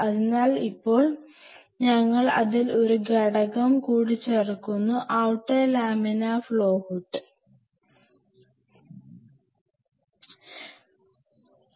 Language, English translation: Malayalam, So, now, we added one more component into it the laminar flow hood in outer facility ok